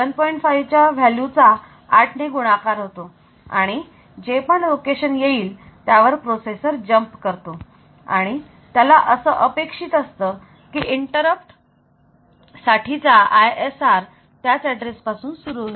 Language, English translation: Marathi, 5, so we know that these values multiplied by 8 so whatever be the location so the processor will jump to that location and it will expect that the ISR for the for the interrupt will be starting from that address